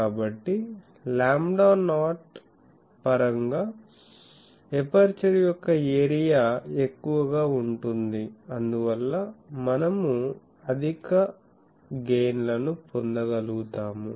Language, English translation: Telugu, So, our area of the aperture in terms of lambda not will be higher and so, we may be able to get higher gain